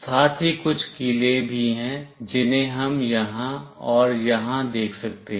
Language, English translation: Hindi, There are certain spikes as well we can see here and here